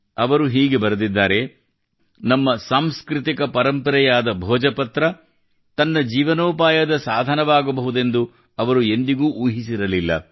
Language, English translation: Kannada, They have written that 'They had never imagined that our erstwhile cultural heritage 'Bhojpatra' could become a means of their livelihood